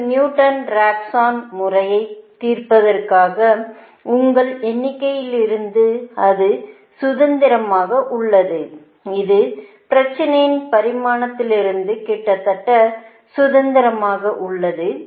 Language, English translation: Tamil, your number of beta resistance of solving a newton raphson method is almost independent of the dimension of the problem